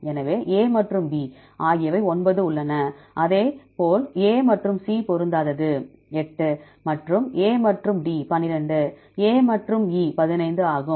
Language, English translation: Tamil, So, A and B there are 9, likewise A and C mismatch is 8, and A and D is 12, A and E is 15